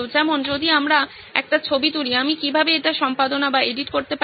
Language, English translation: Bengali, Like I take a picture, how may I edit that